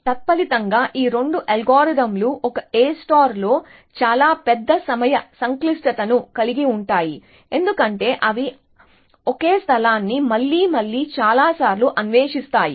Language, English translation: Telugu, And consequently both this algorithms have a of course, much larger time complexity in A star, because they will explore the same space again and again many times essentially